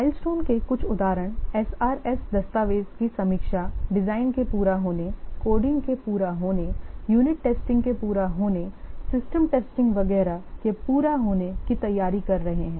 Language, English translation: Hindi, A few examples of milestones are preparation of review of the SRS document, completion of design, completion of coding, completion of unit testing, completion of system testing, etc